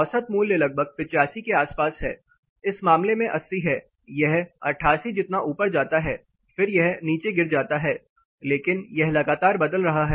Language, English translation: Hindi, The main value lies somewhere around 85, in this case 80 it goes as high as 88 then it drops down, but there is also a considerable variation across